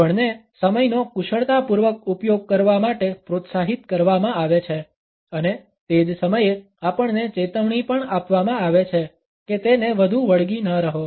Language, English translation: Gujarati, We are encouraged to use time wisely and at the same time we may also be cautioned not to be too obsessive about it